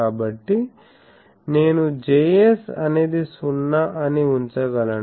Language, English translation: Telugu, So, that is why I can put that Js is 0